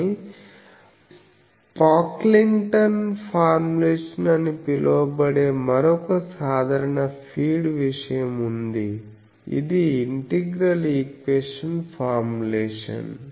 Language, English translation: Telugu, But another general feed thing that is called Pocklington’s formulation that is also integral equation formulation